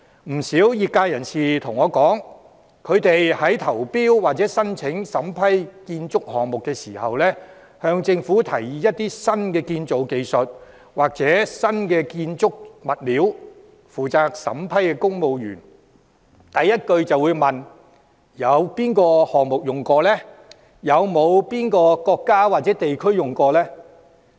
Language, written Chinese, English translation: Cantonese, 不少業界人士告訴我，他們在投標或申請審批建築項目時，向政府提議一些新建造技術或新建築物料，負責審批的公務員第一句便問：那些新技術或新物料曾在哪個項目應用？, A number of members of the trade have told me that whenever they proposed to the Government to use new construction technologies or new construction materials when they submitted a tender or sought approval for a construction project the questions asked by the civil servant responsible for vetting and approval were In what projects had the new technologies or new materials been used?